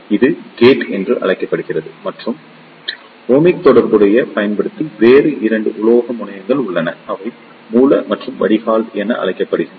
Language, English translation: Tamil, This is known as gate and there to other metallic terminals using the Ohmic contacts; they are known as Source and the Drain